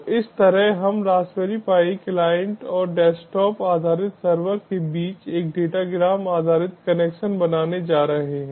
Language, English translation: Hindi, so in this way we are going to create a ah data gram based connection between the raspberry pi client and the desktop based server